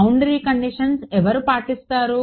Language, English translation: Telugu, boundary conditions are obeyed by whom